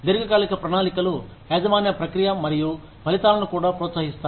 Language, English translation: Telugu, Long term plans also encourage, ownership of process and results